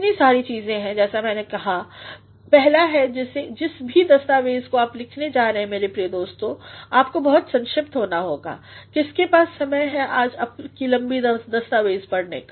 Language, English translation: Hindi, There are so many things as I said, the first is whatever document you are going to write my dear friends; you actually have to be very brief who has got the time today to read your long document